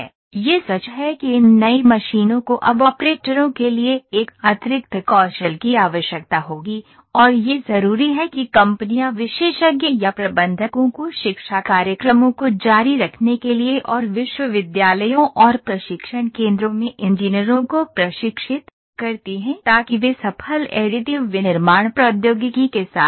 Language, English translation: Hindi, It is true that these new machines will now need an additional skill for operators and it’s imperative that companies train engineers in the specialist and managers to continuing education programs or at universities and training centres to keep up with breakthrough additive manufacturing technology